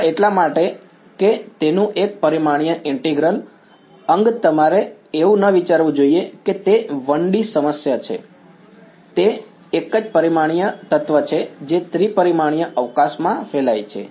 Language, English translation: Gujarati, Just because its one dimensional integral you should not think that it is a 1D problem; it is a one dimensional element radiating in three dimensional space